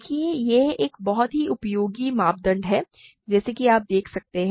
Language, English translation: Hindi, See, this is a very useful criterion as you can see